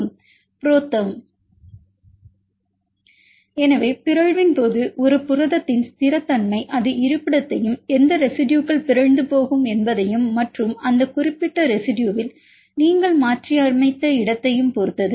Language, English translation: Tamil, So, stability of a protein upon mutation it depends on the location and which residues will mutated as well as where you mutated that particular residue